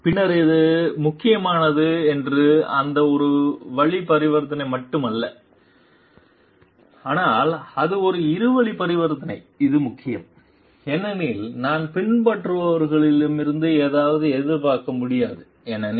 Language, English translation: Tamil, Then it is not only that one way transaction which is important, but it is a two way transaction which is also important because, I cannot expect something from the followers